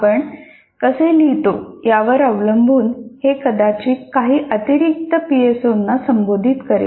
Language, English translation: Marathi, Depending on how you write, it may address maybe additional PSOs